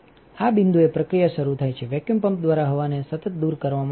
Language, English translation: Gujarati, At this point the process starts, air is continuously removed by vacuum pumps